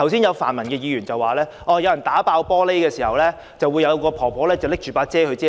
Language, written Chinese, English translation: Cantonese, 有泛民議員剛才說，當有人打破玻璃時，有一位婆婆撐着傘保護他。, Just now a pan - democratic Member said that an old lady held an umbrella to protect him when someone smashed the glass